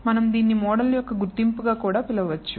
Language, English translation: Telugu, We can also call it as identification of a model